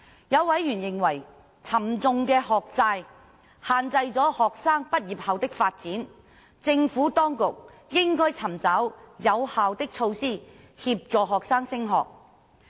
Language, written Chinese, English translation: Cantonese, 有委員認為，沉重的學債限制了學生畢業後的發展，政府當局應該尋找有效的措施協助學生升學。, Members considered that heavy debts from student loans had limited students development upon graduation and the Administration should find effective means to assist students in pursuing further studies